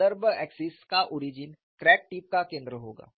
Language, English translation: Hindi, Origin of the reference axis would be the center of the crack tip